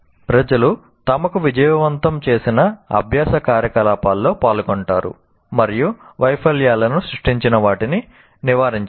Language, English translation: Telugu, And see, people will participate in learning activities that have yielded success for them and avoid those that have produced failures